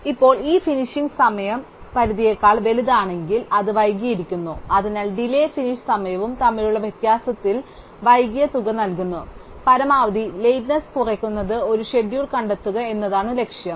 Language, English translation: Malayalam, Now, if this finish time is bigger than the deadline, then it is late, so the amount that it is late is given by the difference between the delay and the finish time and the goal is to find a schedule which minimizes the maximum lateness